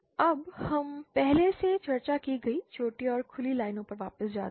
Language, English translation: Hindi, Now let us go back to the shorted and open lines that we have discussed earlier